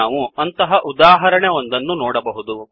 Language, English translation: Kannada, We can see such an example here